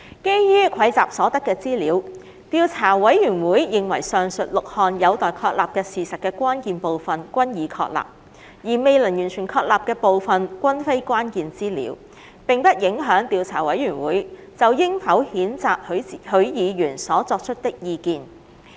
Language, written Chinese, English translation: Cantonese, 基於蒐集所得的資料，調査委員會認為上述6項有待確立的事實的關鍵部分均已確立，而未能完全確立的部分均非關鍵資料，並不影響調查委員會就應否譴責許議員所提出的意見。, And finally whether the acts of Mr HUI Chi - fung were acts of ramming the female officer of the Security Bureau . On the basis of the information garnered the Investigation Committee considers that the material parts of the above six facts to be established have been established while the parts which could not be completely established are immaterial and they do not affect the Investigation Committees view as to whether Mr HUI should be censured